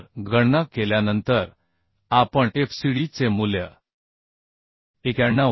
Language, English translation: Marathi, 5 So after calculation we can find out fcd value as 91